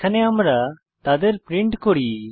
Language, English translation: Bengali, Here we print them